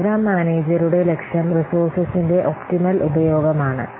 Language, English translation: Malayalam, The objective of program manager is to optimize to optimal use of the resources